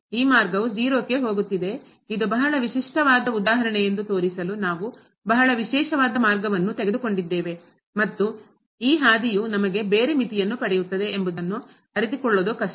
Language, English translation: Kannada, This path is going to 0 so, we have taken a very special path to show this is a very typical example and difficult to realize that a long this path we will get a different limit